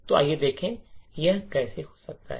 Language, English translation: Hindi, So, let us see how this can take place